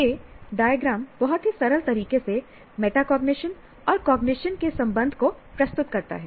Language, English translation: Hindi, This diagram presents in a very simple way the role of the what is the what is metacognition relation to cognition